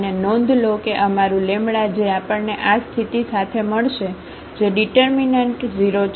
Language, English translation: Gujarati, And, note that our lambda which we will get with this condition that the determinant is 0